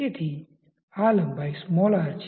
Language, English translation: Gujarati, So, this length is what small r